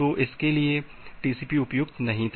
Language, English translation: Hindi, So, for that TCP was not suitable